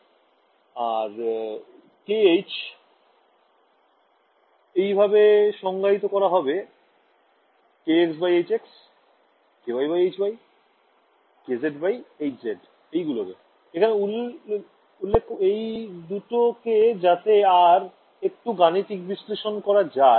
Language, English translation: Bengali, And k h, I will define as same way k x by h x, k y by h y, k z by h z, I am only introducing these two to make the math a little bit more